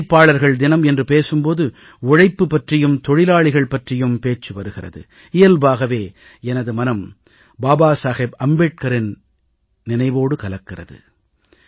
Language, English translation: Tamil, And when 'Labour Day' is referred to, labour is discussed, labourers are discussed, it is but natural for me to remember Babasaheb Ambedkar